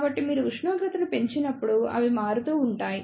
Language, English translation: Telugu, So, they vary when you increase the temperature